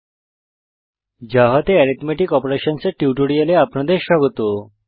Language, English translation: Bengali, Welcome to the tutorial on Arithmetic Operations in Java